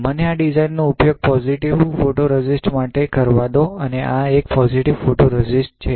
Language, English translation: Gujarati, So, let me use this design for positive photoresist and this is a positive photoresist